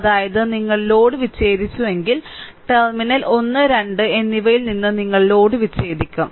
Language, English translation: Malayalam, I mean, if you disconnected the load; you have disconnected the load from the terminal 1 and 2